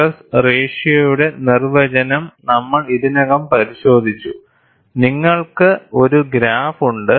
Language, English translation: Malayalam, We have already looked at the definition of stress ratio R